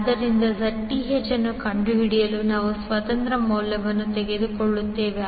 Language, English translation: Kannada, So, to find the Zth we remove the independent source